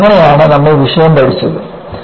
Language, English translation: Malayalam, That is how, we learned the subject